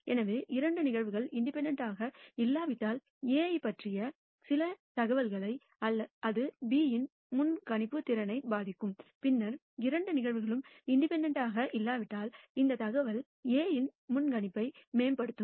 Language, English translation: Tamil, So, if two events are not independent; then if you can provide me some information about A, it will influence the predictability of B vice versa if you tell me some information about the occurrence of B then this information will improve the predictability of A, if the two events are not independent